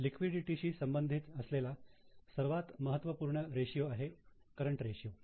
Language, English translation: Marathi, Now, one of the most important ratio of liquidity is current ratio